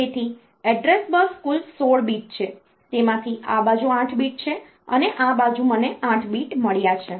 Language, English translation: Gujarati, So, address line the address bus is total 16 bit out of out of that this side I have got 8 bit, and this side I have got the 8 bit